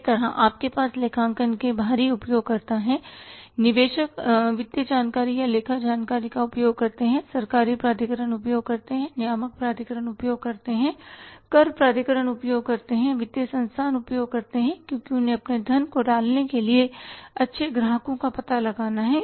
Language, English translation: Hindi, Similarly you have the external users of accounting, investors use the financial information or accounting information, government authorities use, regulatory authorities use, tax authorities use, financial institutions use because they have to find out the good customers to lend their funds